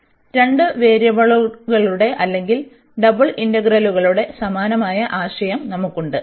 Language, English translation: Malayalam, So, similar concept we have for the integral of two variables or the double integrals